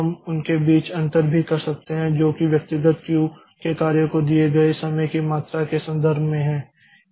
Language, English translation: Hindi, We can also differentiate between them in terms of the amount of time that is given to jobs of individual Q